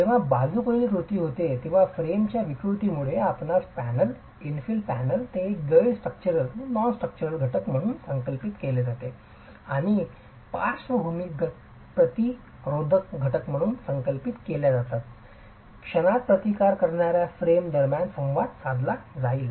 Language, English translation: Marathi, When there is lateral action due to deformation of the frame you will have interaction between the panel, the infill panel which is conceived as a non structural element and the moment resisting frame which is conceived as the lateral load assisting element